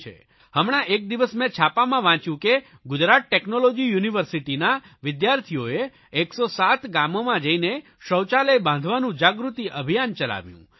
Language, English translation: Gujarati, I recently read in a newspaper that students of Gujarat Technological University launched a Jagran Abhiyan Awereness Campaign to build toilets in 107 villages